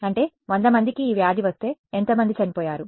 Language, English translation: Telugu, So; that means that if 100 people got this disease, how many died